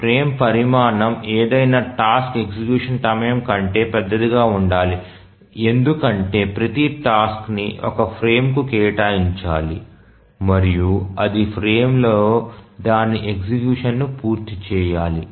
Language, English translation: Telugu, The first thing is that the frame size must be larger than any task execution time because each task must be assigned to one frame and it must complete its execution in the frame